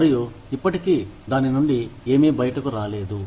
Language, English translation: Telugu, And, still nothing has come out of it